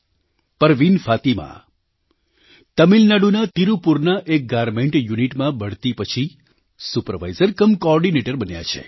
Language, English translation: Gujarati, Parveen Fatima has become a SupervisorcumCoordinator following a promotion in a Garment Unit in Tirupur, Tamil Nadu